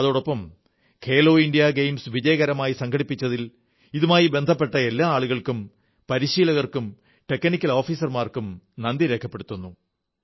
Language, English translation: Malayalam, I also thank all the people, coaches and technical officers associated with 'Khelo India Games' for organising them successfully